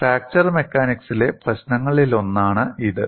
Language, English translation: Malayalam, So, there is something very unique to fracture mechanics